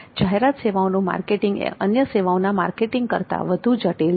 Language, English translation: Gujarati, The marketing of advertisement services is more complex than the marketing of other services